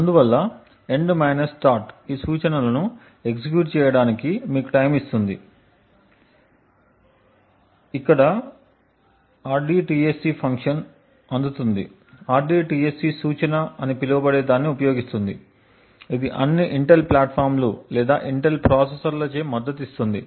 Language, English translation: Telugu, Therefore, the end start would give you the time taken to execute these instructions, rdtsc function are received over here uses something known as the rdtsc instruction which is supported by all Intel platforms or Intel processors